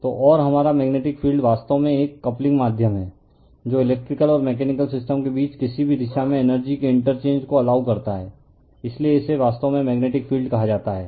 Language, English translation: Hindi, So, and our magnetic field actually is a coupling medium allowing interchange of energy in either direction between electrical and mechanical system right, so that is your what you call that at your it is what a actually magnetic field